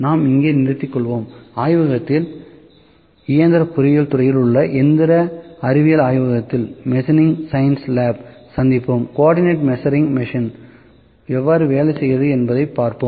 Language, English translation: Tamil, So, with this I will just like to take a break here and we will meet in the machining science lab in mechanical engineering department in the laboratory and we will see how co ordinate measuring machine works